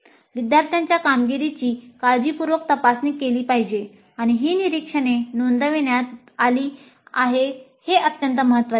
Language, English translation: Marathi, So it is very important that the performance of the students is carefully examined and these observations are recorded